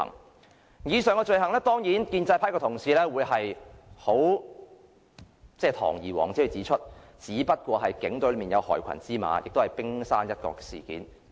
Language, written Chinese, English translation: Cantonese, 就以上罪行，當然建制派的同事會堂而皇之地說只是警隊內有害群之馬，只是冰山一角。, With respect to these crimes Members of the pro - establishment camp would say that these black sheep are merely a tiny proportion in the Police Force